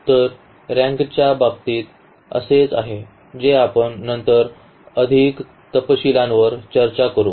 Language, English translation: Marathi, So, that is the case of in terms of the rank which we will later on discuss more in details